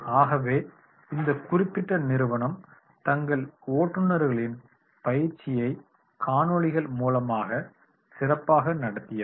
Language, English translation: Tamil, So therefore this particular company in the training program of their drivers they are making the use of the videos